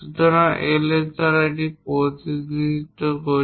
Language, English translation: Bengali, So, we represent it by Ls